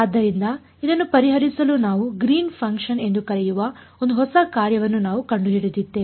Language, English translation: Kannada, So, to solve this we said we invented one new function we called it the Green’s function right